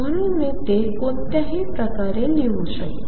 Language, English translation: Marathi, So, I can write it either way